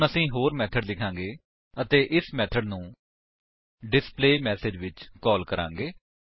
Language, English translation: Punjabi, Now we will write another method and call this method in displayMessage